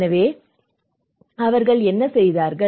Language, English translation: Tamil, So, what did they do